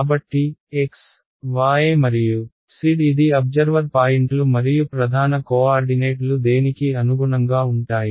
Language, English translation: Telugu, So, the x, y and z these are the observer points right and the prime coordinates corresponds to what